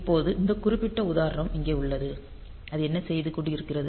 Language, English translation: Tamil, Now this particular example that we have here; so, what it is doing